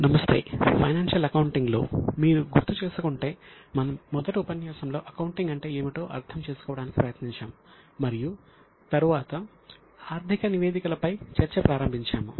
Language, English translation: Telugu, If you remember in our first session we had tried to understand what is accounting and then started discussion on financial statements